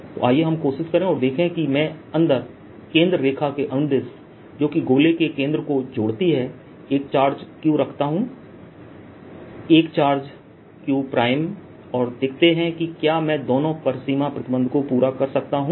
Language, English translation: Hindi, so let us try and see if i put a charge inside along the same line as the centre line which joins these centre of this sphere and the charge q, a charge q prime, and see if i can satisfy both the boundary conditions